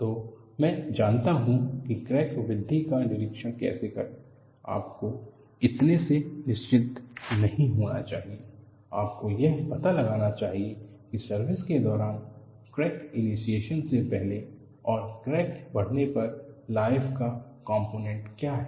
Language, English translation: Hindi, So, I know how to monitor the crack growth’; you should not be relaxed on that; you should find out, during the service life, what is the component of life before crack initiation and what is the component of life when the crack grows